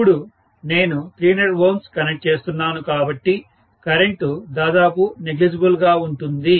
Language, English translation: Telugu, Now that I am connecting 300 ohms, the current will be negligible literally